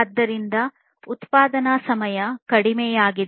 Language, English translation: Kannada, So, there is reduced manufacturing time